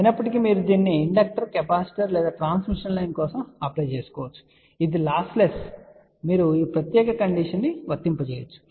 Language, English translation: Telugu, However, you can apply this for inductor, capacitor or a transmission line which is lossless you can apply this particular condition